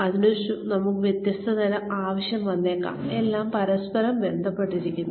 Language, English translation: Malayalam, We may need different kinds, everything is sort of interrelated